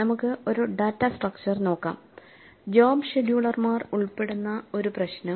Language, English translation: Malayalam, Let us look at a data structure problem involving job schedulers